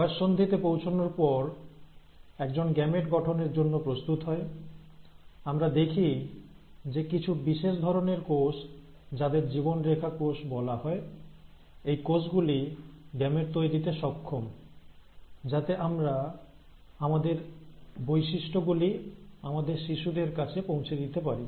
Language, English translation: Bengali, But, once one attains puberty and is now ready for formation of gametes, we find that certain specialized cells, called as the germ line cells, are capable of forming these gametes, so that we can pass on our characteristics to our children